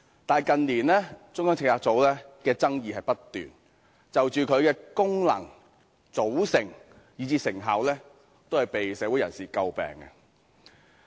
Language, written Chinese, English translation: Cantonese, 但是，近年有關中策組的爭議不斷，其功能和組成以至成效，均遭社會人士詬病。, In recent years however there have been incessant controversies about CPU . Its function composition and effectiveness have been criticized by members of the community